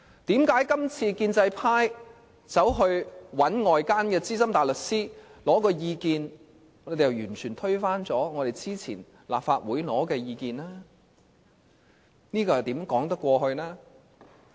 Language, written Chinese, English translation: Cantonese, 為甚麼建制派今次尋求外間的資深大律師意見後，便完全推翻立法會之前所取得的意見？, Why did the President completely overrule the legal advice obtained by the Legislative Council after the pro - establishment camp had sought the legal advice of outside Senior Counsel this time around?